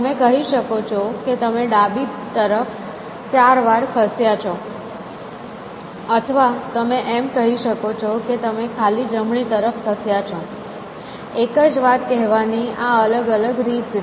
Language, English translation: Gujarati, So, you can either say that you are moved four to the left or you can say that, you have moved the blank to the right; they are just equivalent face of saying the same thing